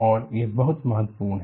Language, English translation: Hindi, And this is very very important